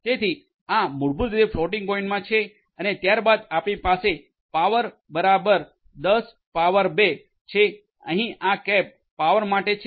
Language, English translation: Gujarati, So, this basically will be in the floating point and then you have power equal to 10^2 so this cap is basically for the power